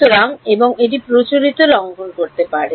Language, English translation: Bengali, So, and it may violate that conventional also